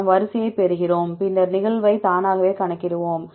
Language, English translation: Tamil, We get the sequence, then we will automatically calculate the occurrence from the occurrence